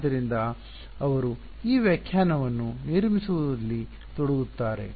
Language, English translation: Kannada, So, they get involved in constructing this definition ok